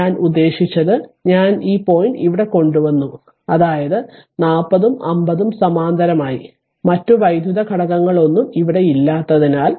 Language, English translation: Malayalam, I mean what i did i bring this point bring this point here right; that means, 40 and 50 in parallel because no other electrical element is here